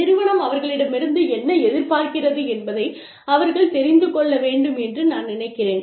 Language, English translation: Tamil, I mean, they need to know, what the organization, expects from them